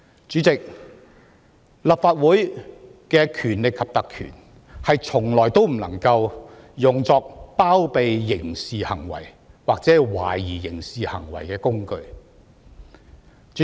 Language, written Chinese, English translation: Cantonese, 主席，立法會的權力及特權從來不能用作包庇刑事行為或涉嫌刑事行為的工具。, President the powers and privileges of the Legislative Council can never be used as a tool to cover up criminal acts or alleged criminal acts